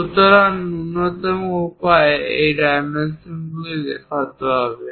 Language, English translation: Bengali, So, minimalistic way one has to show these dimensions